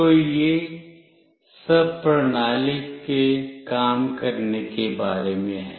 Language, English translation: Hindi, So, this is all about working of the system